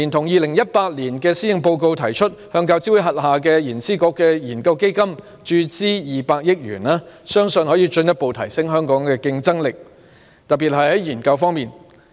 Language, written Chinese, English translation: Cantonese, 2018年施政報告也提出，向大學教育資助委員會轄下的研究資助局的研究基金注資200億元，相信可以進一步提升香港的競爭力，特別是在研究方面。, The Policy Address 2018 also proposes to inject 20 billion into the Research Endowment Fund of the Research Grants Council under the University Grants Committee . It is believed that this can further enhance Hong Kongs competitiveness especially in regard to research